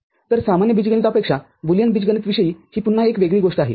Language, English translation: Marathi, So, that is again one unique thing about a Boolean algebra unlike the ordinary algebra